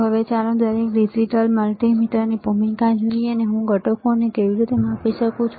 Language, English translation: Gujarati, Now, let us see the role of each digital multimeter, and how I can measure the components, all right